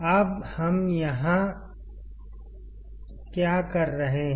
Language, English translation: Hindi, Now what we are saying here